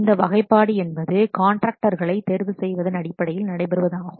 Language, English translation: Tamil, So this classification is based on the approach that is used for a contractor selection